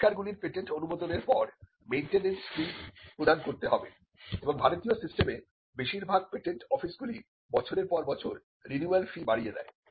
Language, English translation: Bengali, After the patent is granted the inventions the maintenance fee has to be paid and the in the Indian system like most patent officers the renewal fee increases as the years go by